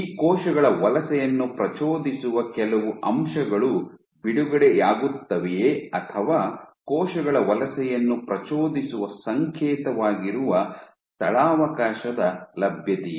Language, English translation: Kannada, So, is it that some factors are released which triggered the migration of these cells and or is it that it is just the availability of space is the signal which triggers migrations of cells